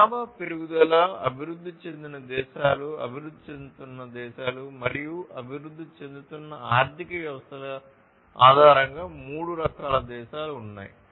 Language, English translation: Telugu, There are three different types of countries based on the population growth, developed countries then emerging countries, emerging economies, basically, and developing economies